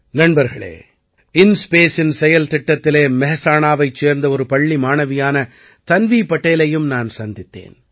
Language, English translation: Tamil, Friends, in the program of InSpace, I also met beti Tanvi Patel, a school student of Mehsana